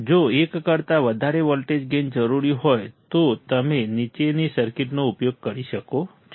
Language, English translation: Gujarati, If a voltage gain greater than 1 is required, you can use the following circuit